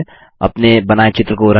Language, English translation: Hindi, Color this picture you created